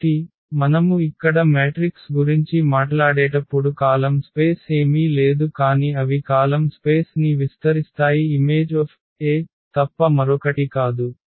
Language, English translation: Telugu, So, when we talk about the matrices here the column space is nothing but they will span the column space is nothing but the image of A